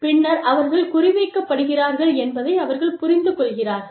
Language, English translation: Tamil, Then they realize, that they are being targeted